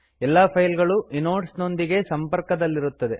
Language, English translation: Kannada, All the files are hard links to inodes